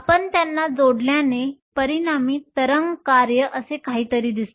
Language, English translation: Marathi, If you add them the resultant wave function look something like this